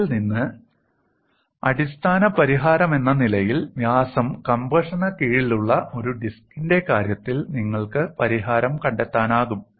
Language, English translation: Malayalam, From this as the basic solution, you could find the solution, for the case of a disk under diameter compression